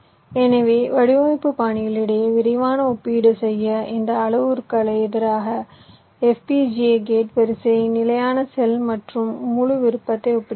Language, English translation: Tamil, so in order to make a quick comparison among the design styles, so we are comparing fpga, gate array, standard cell and full custom